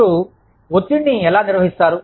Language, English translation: Telugu, How do you manage stress